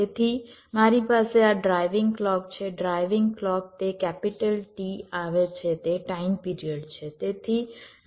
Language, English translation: Gujarati, take this example: so i have this driving clock, driving clock it comes, t is the time period